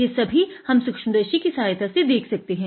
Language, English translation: Hindi, Let us look at it under the microscope